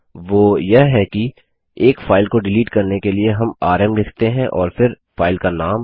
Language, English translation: Hindi, That is do delete a single file we write rm and than the name of the file